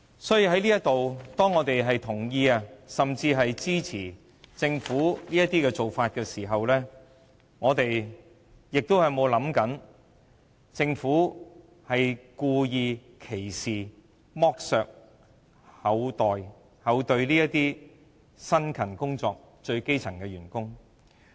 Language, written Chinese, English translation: Cantonese, 所以，當我們在此同意甚至支持政府追加撥款時，有沒有想過政府歧視、剝削、愧對這些辛勤工作的最基層員工？, While expressing approval of or even support for the supplementary provisions here have we ever thought of the Governments discrimination against exploitation of and failure to do justice to these hardworking workers who are at the most elementary level?